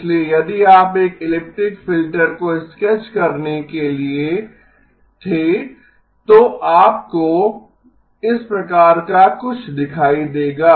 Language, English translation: Hindi, So if you were to sketch an elliptic filter, you will see something of this type